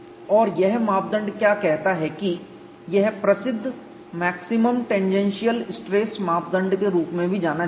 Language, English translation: Hindi, And what this criterion says is, it is also famously known as maximum tangential stress direct criterion